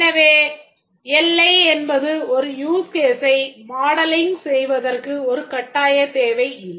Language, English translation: Tamil, So, the boundary is not really a mandatory requirement for modeling a use case